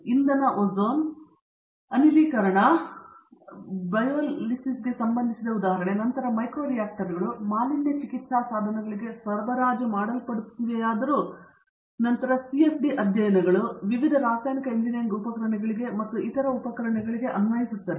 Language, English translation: Kannada, Example related to energy ozone, gasification, biolysis then micro reactors are supplied to pollution treatment devices although then CFD studies applied to various chemical engineering equipments and other equipments as well